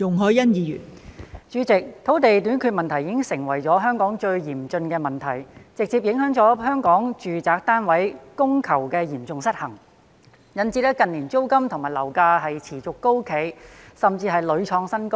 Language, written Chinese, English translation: Cantonese, 代理主席，土地短缺問題已經成為香港最嚴峻的問題，直接造成香港住宅單位供求嚴重失衡，導致近年租金和樓價持續高企，甚至屢創新高。, Deputy President land shortage has become the most acute problem in Hong Kong directly resulting in the serious demand - supply imbalance in residential flats in Hong Kong causing rents and property prices to remain persistently high in recent years and even hit record high time and again